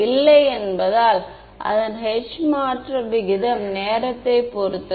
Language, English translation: Tamil, No right because its rate of change of h with respect to time